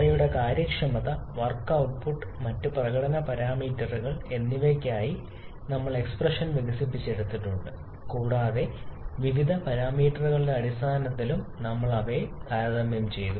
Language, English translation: Malayalam, We have developed expression for their efficiencies, work output and other performance parameters and we also have compared them in terms of various parameters